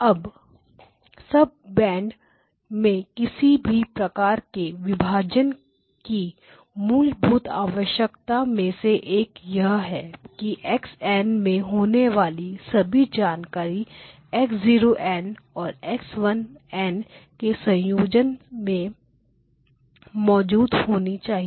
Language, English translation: Hindi, Now one of the fundamental requirements of any type of splitting into sub banks is that all of the information that is in x of n must be present in a combination of x0 of n and x1 of n